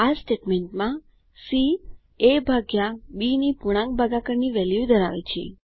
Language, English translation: Gujarati, In these statements, c holds the value of integer division of a by b